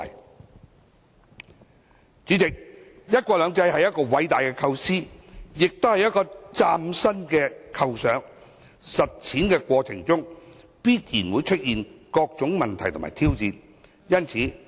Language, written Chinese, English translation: Cantonese, 代理主席，"一國兩制"是偉大的構思，亦是嶄新的構想，在實踐過程中必然會出現各種問題和挑戰。, Deputy President one country two systems is a great idea and a novel concept . It is inevitable that various problems and challenges will arise in the course of implementation